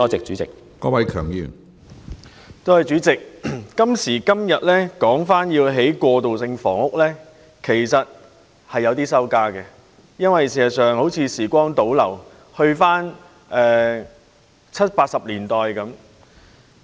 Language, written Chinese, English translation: Cantonese, 主席，我們今時今日再次討論興建過渡性房屋，是有點兒羞愧的，因為就好像時光倒流，回到了七八十年代。, President it is a bit embarrassing to discuss the construction of transitional housing again today because it is like turning back the clock and returning to the 1970s and 1980s